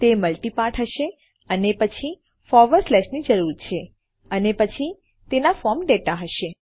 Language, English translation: Gujarati, It will be multi part and we need a forward slash and then its form data